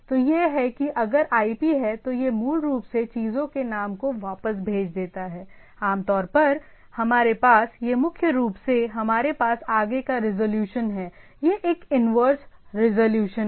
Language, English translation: Hindi, So, it is if the IP there it they it basically sends back the name of the things, usually we have we all primarily we have forward resolution, this is a inverse resolution